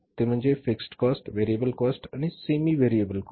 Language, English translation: Marathi, They are fixed cost, variable cost and the semi variable cost